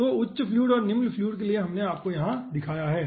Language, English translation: Hindi, okay, so for higher fluid and lower fluid, we have shown you over here